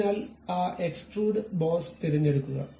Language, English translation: Malayalam, So, pick that Extrude Boss